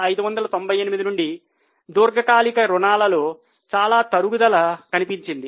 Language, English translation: Telugu, From 4598, there is a substantial reduction in long term borrowing